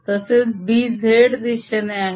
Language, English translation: Marathi, similarly, b is in the z direction